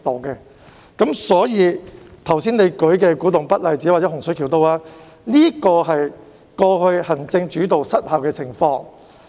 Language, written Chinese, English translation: Cantonese, 你剛才列舉的古洞北例子，以及洪水橋的發展，均反映過去行政主導失效的情況。, The case of Kwu Tung North that you mentioned earlier as well as the development of Hung Shui Kiu have revealed the ineffectiveness of the executive - led system in the past